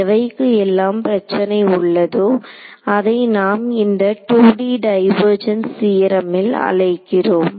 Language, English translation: Tamil, So, for those of you who are having trouble we call in this 2D divergence theorem I will just write it over here